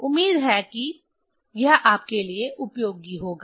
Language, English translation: Hindi, Hopefully it will be useful for you